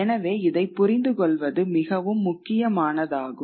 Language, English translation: Tamil, That is an important concept for us to understand